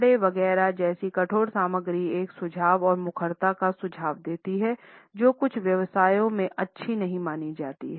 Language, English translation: Hindi, Hard materials like leather etcetera suggest a belligerence and assertiveness which is not welcome in certain professions